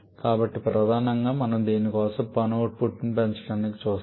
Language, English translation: Telugu, So, primarily we go for maximizing the work output for this